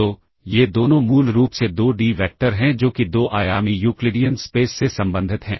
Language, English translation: Hindi, So, both of these are basically 2D vectors that is there belong to the 2 dimensional Euclidean space